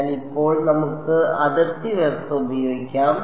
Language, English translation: Malayalam, So, now, let us use the boundary condition